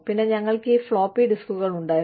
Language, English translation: Malayalam, And then, we had these floppy disks